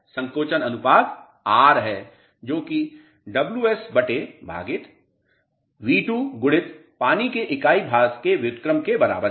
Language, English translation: Hindi, The shrinkage ratio is R which is equal to Ws upon V2 into inverse of unit rate of water